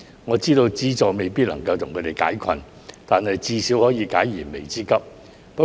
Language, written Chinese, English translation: Cantonese, 我知道資助未必可以為他們完全解困，但至少能夠解燃眉之急。, I know that subsidies may not be able to provide them with complete relief but at least they can provide immediate relief